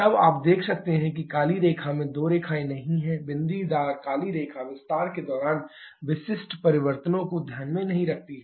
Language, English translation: Hindi, Then you can see there are two lines drawn on the black line does not; the dotted black line does not take into consideration the changes specific during expansion